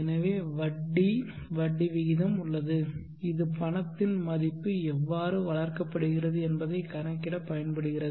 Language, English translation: Tamil, So there is an interest, interest rate which can be used for calculating for how the value of the money is grown